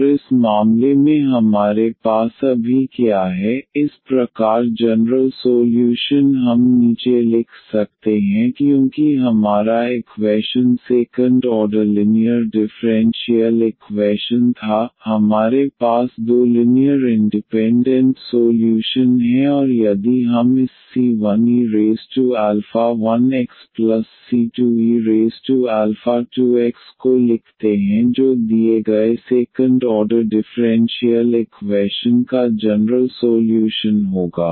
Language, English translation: Hindi, And in this case what we have now, thus the general solution we can write down because the our equation was the second order linear differential equation, we have two linearly independent solutions and if we write down this c 1 e power alpha 1 x c 2 e power alpha 2 x that will be the general solution of the given second order differential equation